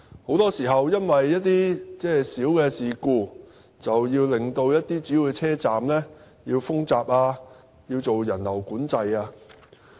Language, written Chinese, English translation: Cantonese, 很多時候，鐵路服務會因為一些小事故令主要車站封閘、實施人流管制。, In most cases rail operators may need to close a major station or manage passenger flow merely due to a minor incident